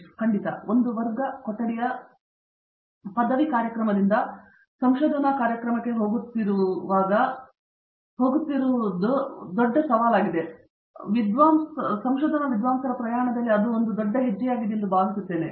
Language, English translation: Kannada, Sure, I think as a research going from a class room degree program to research program is a big step up in a scholar’s journey